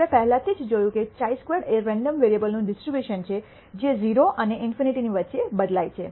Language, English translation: Gujarati, We already saw the chi squared is a distribution of a random variable which varies between 0 and in nity